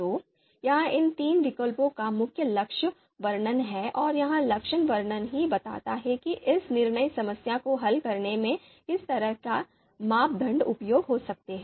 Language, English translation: Hindi, So this is the main characterization of these three alternatives and the characterization itself indicates about what kind of criteria could be useful in solving this decision problem